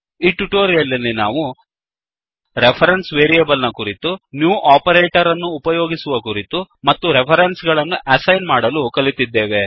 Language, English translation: Kannada, So, in this tutorial, we learnt about: * Reference variables * Creating object using new operator *And assigning references